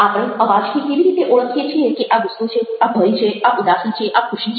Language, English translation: Gujarati, how do we identify it's anger, fear, sadness, happiness through voice